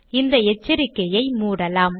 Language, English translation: Tamil, Let us dismiss this warning